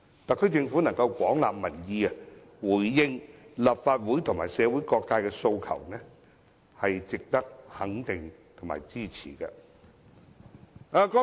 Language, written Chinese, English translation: Cantonese, 特區政府能夠廣納民意，回應立法會及社會各界的訴求，是值得肯定及支持的。, The SAR Government deserves our affirmation and support for gauging public opinion and responding to the aspirations of the Legislative Council and various sectors of society